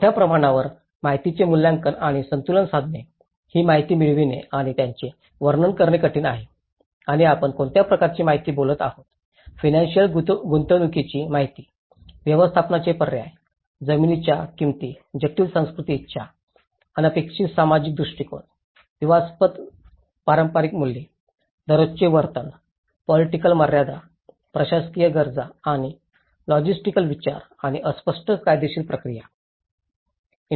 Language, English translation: Marathi, To evaluate and balance great amounts of information, that is difficult to obtain and to interpret and what kind of information we are talking, the information about economic investment, the management options, land prices, complex cultural desires, unexpected social attitudes, controversial traditional values, day to day behaviours, political limitations, administrative needs, and logistical considerations and fuzzy legal procedures